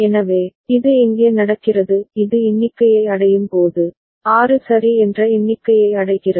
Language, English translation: Tamil, So, this is happening where when it is reaches the count of, reaches the count of 6 ok